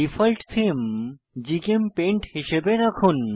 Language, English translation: Bengali, Lets retain the Default Theme as GChemPaint